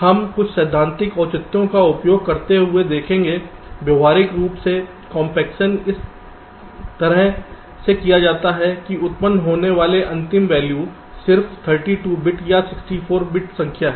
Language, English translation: Hindi, well, we shall see, using some theoretical justification, that practically compaction is done in such a way that the final value that is generated is just a thirty two bit or sixty four bit number